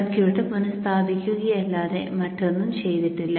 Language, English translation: Malayalam, We have not done anything except reposition the circuit